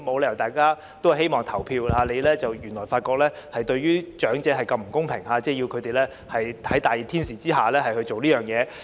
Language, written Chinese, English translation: Cantonese, 大家都希望投票，但發覺原來對長者這麼不公平，要他們在炎熱天氣下做這件事。, We all want to vote but it turns out that this is so unfair to the elderly since they have to do so in extremely hot weather